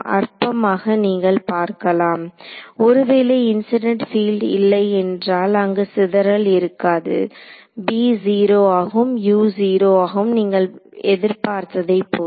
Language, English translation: Tamil, So, trivial you can see if there was no incident field there is no scattering b is 0, u is 0 as you expect